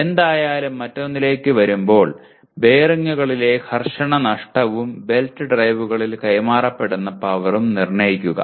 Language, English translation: Malayalam, Anyway coming to another one, determine the friction losses in bearings and power transmitted in belt drives